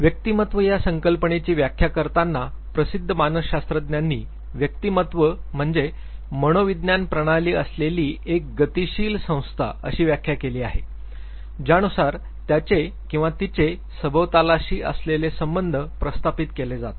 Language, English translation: Marathi, So coming to the definition of personality famous psychologist are put he defined personality as a dynamic organization within the individual which has psycho physical systems, which determine his or her unique adjustment to the environment